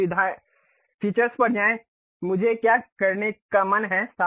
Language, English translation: Hindi, Now, go to Features; what I want to do